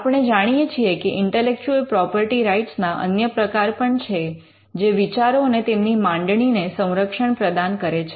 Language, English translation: Gujarati, We know that there are other forms of intellectual property rights which protect, which protect ideas and expressions of ideas